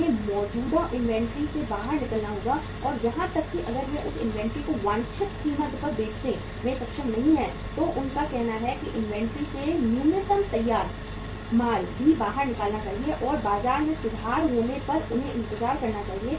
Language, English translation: Hindi, They have to take out from the existing inventory and even if they are not able to get sell that inventory at the desired price then they have to say take out the minimum uh finished goods from the inventory also and they should wait for that when the market improves